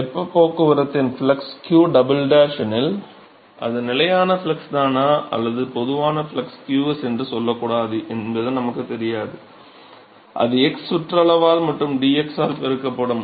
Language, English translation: Tamil, So, if the flux of heat transport is q double dash we do not know whether it is constant flux or not let us say in general flux is qs, it could be a position of x multiplied by the perimeter, right, into dx right